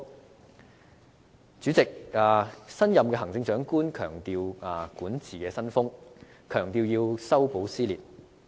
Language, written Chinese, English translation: Cantonese, 代理主席，新任行政長官強調管治新風，強調要修補撕裂。, Deputy President the new Chief Executive emphasizes a new style of governance and reconciliation of conflicts